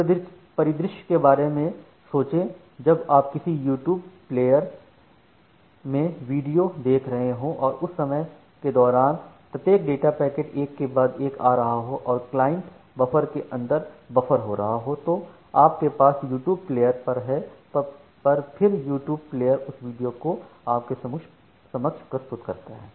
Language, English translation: Hindi, Just think of the scenario when you are observing a video in a YouTube player and during that time, every data packet is coming one after another that is getting buffered inside the client buffer that you have at the YouTube player and then the YouTube player is rendering that video